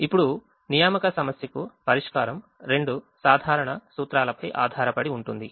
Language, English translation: Telugu, now, the assignment problem is: the solution to the assignment problem is based on two simple principles